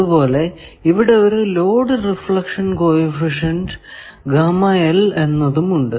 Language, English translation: Malayalam, So, there is a load reflection coefficient